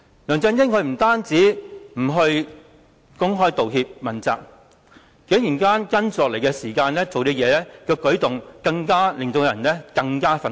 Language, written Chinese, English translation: Cantonese, 梁振英不單沒有公開道歉及問責，接下來的舉動更令人感到非常憤怒。, LEUNG Chun - ying refused to make an open apology and accept responsibility and his subsequent actions were even more infuriating